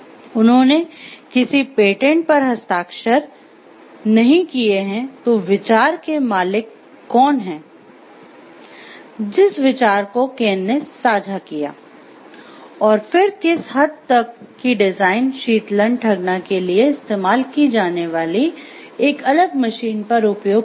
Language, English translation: Hindi, They have not signed the patent then who is the owner of the idea and then to what extent the design, the idea that Ken has shared to a and applied to a different machine used for cooling fudge